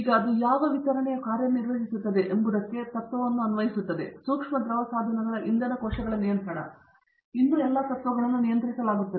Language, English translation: Kannada, Now applying the same principle to what distribution it works, fuel cells control of micro fluidic devices, but still the principles are all controlled